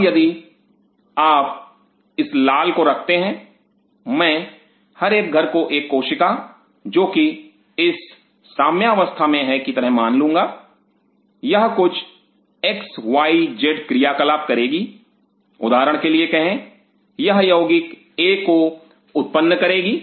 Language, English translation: Hindi, Now if you keep this red I consider each house as a cell in this milieu it will do certain XYZ stuff say for example, it produces compound A